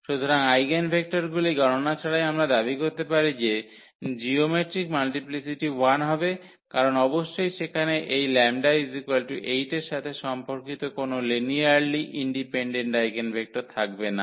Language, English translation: Bengali, So, without calculation of the eigenvectors as well we can claim that the geometric multiplicity will be 1, because definitely there will be one linearly independent eigenvector corresponding to this lambda is equal to 8